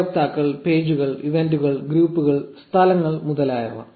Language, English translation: Malayalam, Users, pages, events, groups, places etcetera